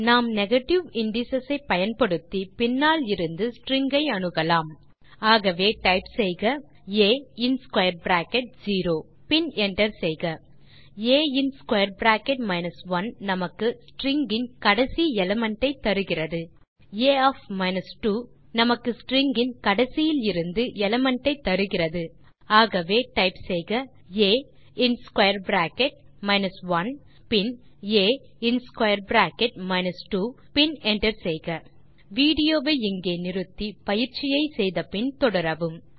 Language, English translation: Tamil, We can access the strings from the end using negative indices So type a in square bracket zero and hit enter a in square bracket minus 1 gives us the last element of the string and a[ 2] gives us second element from the end of the string.lt/nowikigtSo type a in square bracket minus 1 and hit enter, then a in square bracket minus 2 and hit enter Pause the video here, try out the following exercise and resume the video